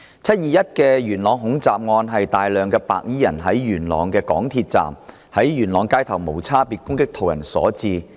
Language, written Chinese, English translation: Cantonese, "七二一"元朗恐襲案，是大量白衣人在港鐵元朗站及元朗街頭無差別攻擊途人所致。, In the 21 July Yuen Long terrorist attack large numbers of white - clad gangsters perpetrated an indiscriminate attack on civilians at Yuen Long MTR Station and the streets of Yuen Long